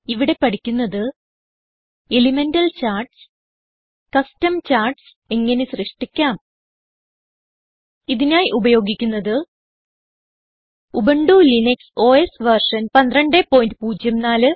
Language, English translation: Malayalam, In this tutorial, we will learn about, * Elemental Charts and * How to create Custom Charts For this tutorial, I am using: Ubuntu Linux OS version 12.04